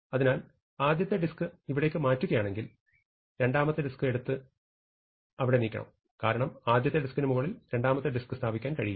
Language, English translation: Malayalam, So, we move the first disk here, then we must take the second disk and move it there, because we cannot put the second disk on top of the first disk